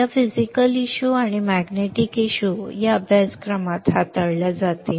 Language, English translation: Marathi, These physical issues and magnetic issues will be addressed in this course